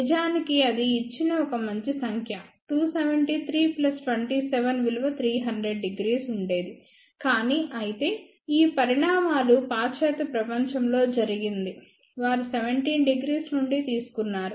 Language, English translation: Telugu, In fact, that would have given a nicer number 273 plus 27 would have been 300 degree, but however since all these developments had been done in the western world they took 17 degree